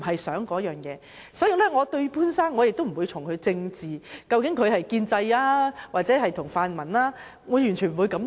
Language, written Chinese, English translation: Cantonese, 所以，對於潘先生，我不會從政治上來想，究竟他是建制還是泛民，我完全不會這樣想。, Hence I will not look at Mr POON from a political perspective and speculate whether he sides with the pro - establishment camp or the pan - democratic camp . I will not think in this way